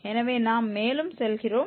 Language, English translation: Tamil, So, we go further